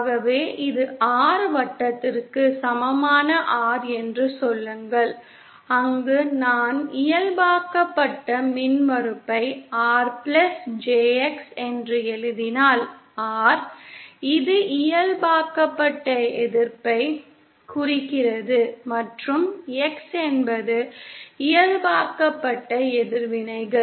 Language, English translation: Tamil, So say this is the R equal to 0 circle where R refers to, if I write the normalized impedance as R plus JX, and this is the normalized resistance and X is the normalized reactants